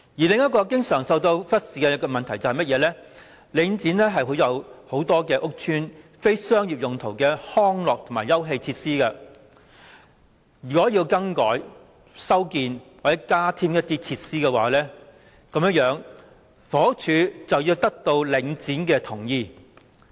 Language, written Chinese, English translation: Cantonese, 另一個經常受到忽視的問題是，領展管有眾多屋邨非商業用途的康樂及休憩設施。如果要更改、修建或加添這些設施，房屋署便須得到領展的同意。, Another problem which has often been neglected is that as Link REIT is in possession of many recreational and leisure facilities for non - commercial use in public housing estates the Housing Department HD has to seek the approval of Link REIT before alterations or repairs can be made to these facilities or their provision increased